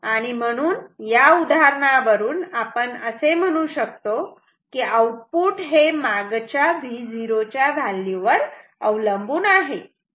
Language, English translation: Marathi, So, therefore, we see that in this example the output will depend on the previous value of the V o